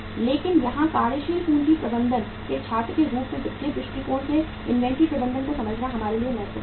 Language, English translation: Hindi, But here as a student of working capital management it is very important for us to understand the inventory management from the financial perspective